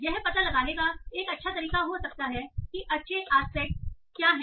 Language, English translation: Hindi, That might be a nice way of finding out what are the good aspects